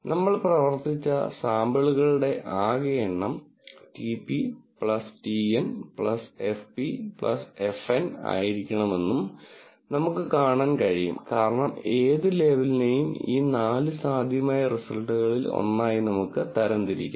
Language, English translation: Malayalam, We can also see that the total number of samples that we have worked with has to be equal to TP plus TN plus FP plus FN, because any label, we can classify it to one of these four possible outcomes